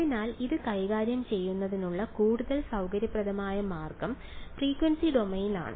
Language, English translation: Malayalam, So, the more convenient way to handle it is frequency domain right